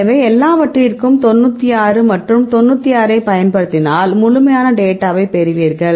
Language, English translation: Tamil, So, if you used all these things 96 and 96 and you will get the complete data right